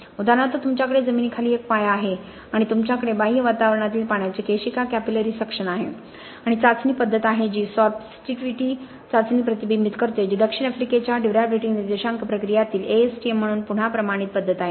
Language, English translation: Marathi, So for example you have a foundation standing in under the ground and you have capillary suction of the water from the external environment and test method that reflects that is sorptivity test which is again a standardized method as far as ASTM in the South African durability index procedures are concerned